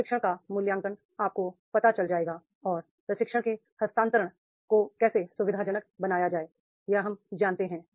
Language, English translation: Hindi, How training should be evaluated, evaluation of training we will know and how to facilitate transfer of training that we will know